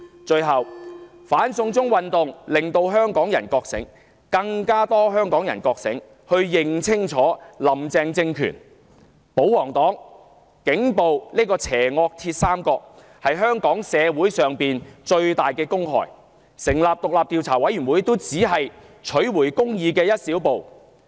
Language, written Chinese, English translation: Cantonese, 最後，"反送中"運動令更多香港人覺醒，認清"林鄭"政權、保皇黨和警暴這個邪惡鐵三角是香港社會的最大公害，成立獨立調查委員會只是取回公義的一小步。, In closing the anti - extradition to China movement has awakened many a Hongkonger to the full realization that the evil triad―comprising the Carrie LAM Administration pro - Government parties and the Police on the rampage―is the biggest public enemy of Hong Kong society and that the setting up of an independent investigation committee is but a baby step towards the restoration of justice